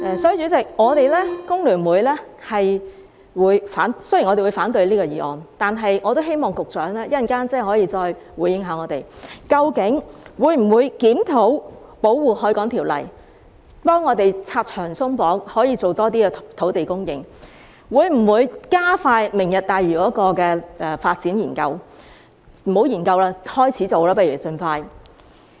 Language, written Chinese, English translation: Cantonese, 所以，代理主席，雖然我們會反對這項議案，但我也希望局長稍後可以再回應我們，究竟會否檢討《條例》，幫助我們拆牆鬆綁，以增加土地供應，以及會否加快"明日大嶼"的發展研究——不如不要研究了，盡快開始做吧。, Therefore Deputy President although we will vote against this motion I wish the Secretary can respond to us again later whether the Government will review the Ordinance to help us remove the various barriers and restrictions in order to increase land supply and whether the study on the development of the Lantau Tomorrow Vision can be expedited―what about forgetting the study and commencing the works as soon as possible?